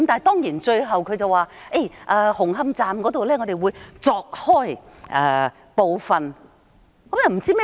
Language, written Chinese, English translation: Cantonese, 當然，他最後說會在紅磡站鑿開部分看看。, Of course finally he said they would cut open part of the structures of Hung Hom Station